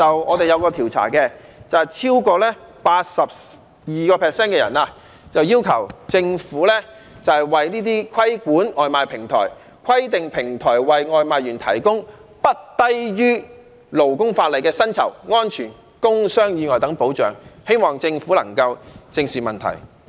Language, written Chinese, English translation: Cantonese, 我們有一個調查，結果顯示超過 82% 的受訪者要求政府規管這些外賣平台，規定平台為外賣員提供不低於勞工法例的薪酬、安全及工傷意外等保障，希望政府能夠正視問題。, As shown by our survey findings over 82 % of the respondents demand that the Government should regulate takeaway delivery platforms and require them to provide takeaway delivery workers with wage safety and work injury protection that is no inferior than that accorded by the labour legislation . I hope the Government can squarely address the relevant problems